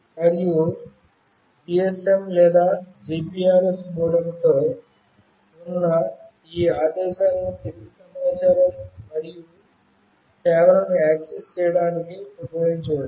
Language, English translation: Telugu, And these commands with GSM or GPRS modem can be used to access the following information and services